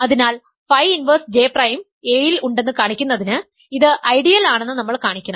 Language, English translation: Malayalam, So, to show phi inverse J prime is in A, we must show that it is an ideal is that we have showed already